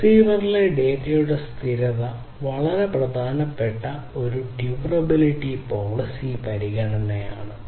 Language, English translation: Malayalam, So, the persistence of the data at the receiver is a very important durability policy consideration